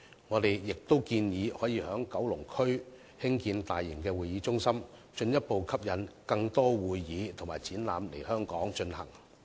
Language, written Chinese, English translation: Cantonese, 我們亦建議在九龍區興建大型會議中心，進一步吸引更多會議和展覽來港舉行。, We also propose to build a large conference center in Kowloon so as to attract more conventions and exhibitions to be hosted in Hong Kong